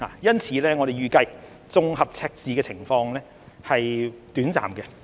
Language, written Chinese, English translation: Cantonese, 因此，我們預計綜合赤字的情況是短暫的。, We therefore anticipate that the fiscal deficit is temporary